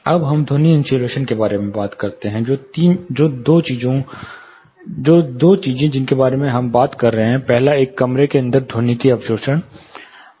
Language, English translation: Hindi, Now let us talk about sound insulation, two things we are talking about; first was acoustic absorption inside a room